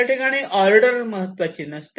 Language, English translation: Marathi, so here the ordering is not important